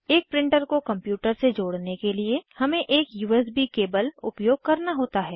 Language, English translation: Hindi, To connect a printer to a computer, we have to use a USB cable